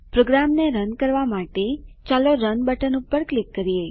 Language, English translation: Gujarati, Lets click on the Run button to run the program